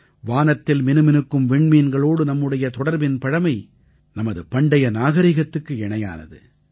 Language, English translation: Tamil, Our connection with the twinkling stars in the sky is as old as our civilisation